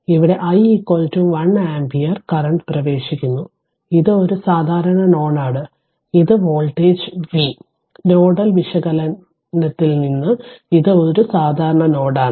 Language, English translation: Malayalam, So, here your i is equal to 1 ampere current is entering this is a common node and this voltage V means from nodal analysis this is a common node